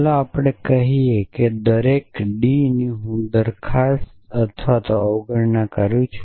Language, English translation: Gujarati, Let us say and each d I is either a proposition or negation of proposition